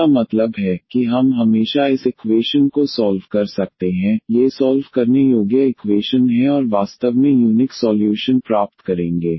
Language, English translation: Hindi, That means, that we can always solve this equation, these are solvable equation and will get the unique solution indeed